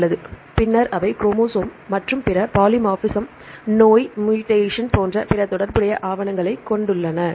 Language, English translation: Tamil, Fine, then they have the other relevant documents like chromosome and other polymorphism disease mutation and so on